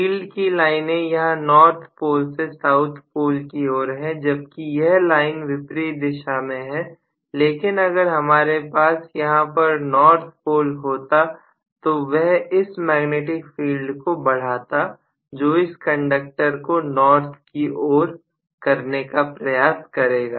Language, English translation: Hindi, The field lines are from this north pole to south pole whereas this line is in the opposite sense but if I have a north pole here this will strengthen the magnetic field here which will try to orient itself towards the north more, right